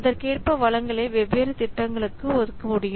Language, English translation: Tamil, So accordingly accordingly, the resources can be allocated to different projects